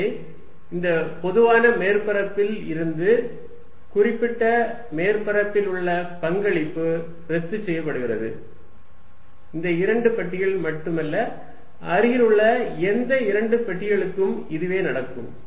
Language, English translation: Tamil, So, the contribution on the surface from this common surface will cancels, not only this two boxes any two adjacent box will happen